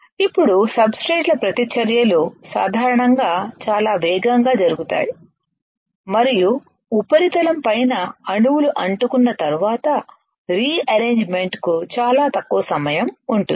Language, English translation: Telugu, Now, surface reactions usually occur very rapidly and there is very little time for rearrangement of surface atoms after sticking